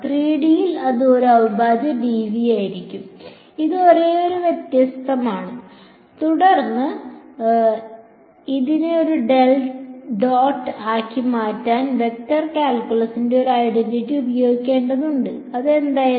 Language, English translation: Malayalam, In 3D it would be a integral dv that is only difference, then we had use one identity of vector calculus to convert this into a del dot something; and what was that something